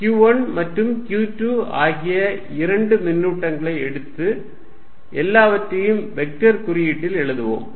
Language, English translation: Tamil, So, let us repeat this I am going to take two charges q 1 and q 2 and write everything in vector notation